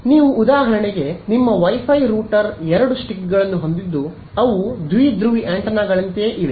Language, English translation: Kannada, So, you are for example, your Wi Fi router has the two sticks right they are like dipole antennas right